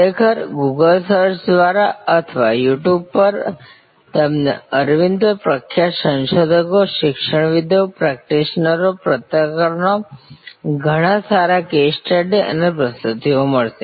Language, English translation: Gujarati, Actually through Google search or on You Tube, you will find many quite good case studies and presentations from famous researchers, academicians, practitioners, journalists on Aravind